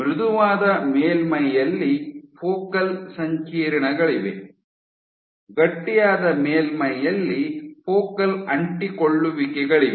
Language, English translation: Kannada, So, on soft surface, you have focal complexes; on stiff surface, you have focal adhesion